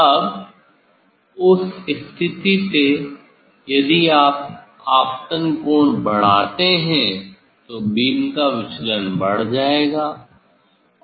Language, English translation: Hindi, now from that position if you increase the incident angle, then the divergence of the beam will increase